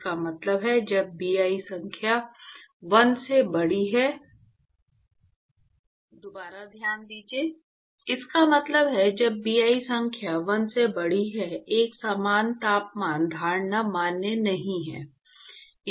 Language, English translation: Hindi, So, this means, so, when Bi number is larger than 1, uniform temperature assumption is not valid